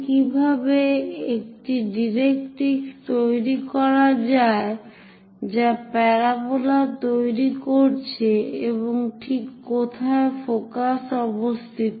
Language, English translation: Bengali, Now, how to construct a directrix which is generating parabola and also where exactly focus is located, for this let us look at the picture